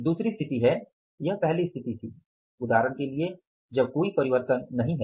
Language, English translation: Hindi, Second situation is this is the first situation that for example there is no change